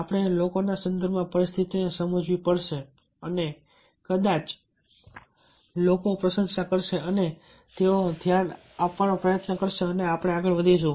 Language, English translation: Gujarati, we have to understand the situation, the context, the people and, keeping all these thing in mind, if we are trying to ah place our point of view, then perhaps people will appreciate and ah they will try to give a tension and we shall proceed further